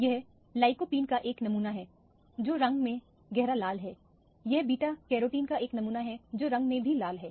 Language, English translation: Hindi, This is a sample of lycopene which is dark red in color, this is a sample of beta carotene which is also strongly red in color